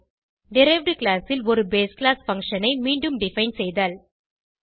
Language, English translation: Tamil, Redefining a base class function in the derived class